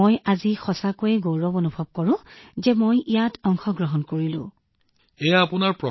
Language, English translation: Assamese, I really feel very proud today that I took part in it and I am very happy